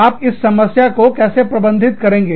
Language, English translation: Hindi, How do you manage, this problem